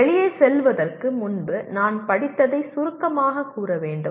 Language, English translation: Tamil, I should summarize what I have just read before going out